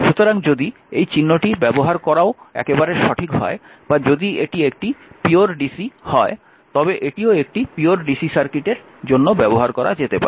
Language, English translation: Bengali, So, if you use this symbol also absolutely correct or if it is a pure dc then this one this one also can be used for a pure dc